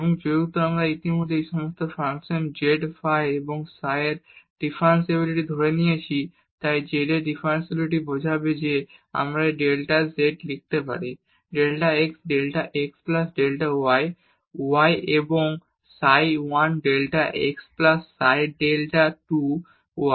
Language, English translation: Bengali, And since we have assumed already the differentiability of all these functions z phi and psi, then differentiability of z will imply that we can write down this delta z is equal to del x delta x plus del y delta y and psi 1 delta x plus psi 2 delta y